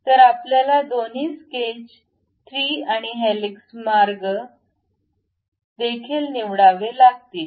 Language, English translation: Marathi, So, you have to pick both sketch 3, and also helix paths